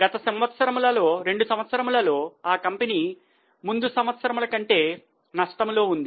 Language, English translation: Telugu, In the first two years, the company that is in earlier years, the company was in loss